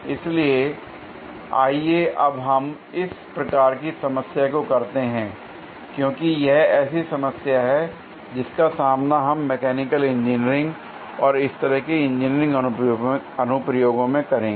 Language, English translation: Hindi, So, let us do this kind of a problem, because this is one of the problem that we will encounter in mechanical engineering and similar engineering applications